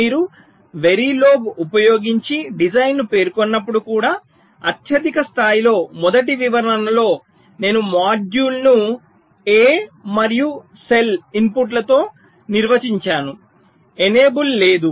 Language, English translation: Telugu, so even at the highest level, when you specify the design using very log, in the first description i am defining the module with inputs a and cell, no enable